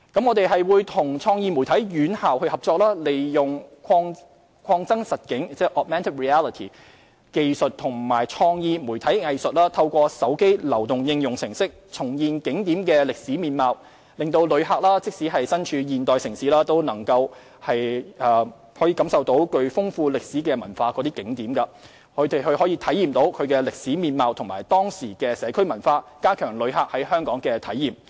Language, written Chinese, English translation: Cantonese, 我們會與創意媒體院校合作，利用擴增實境技術和創意媒體藝術，透過手機流動應用程式重現景點的歷史面貌，讓旅客即使身處現代都市，也可感受具豐厚歷史文化的景點，體驗其歷史面貌和當時的社區文化，加強旅客在香港的體驗。, We will collaborate with creative media schools to enable tourists to experience through the use of augmented reality technology and creative media art that re - creates the historical landscape of tourist attractions through mobile applications the historical landscape and community culture of locations with a rich historical culture amidst the modern urban setting of these places today . This would enrich the experience of tourists in Hong Kong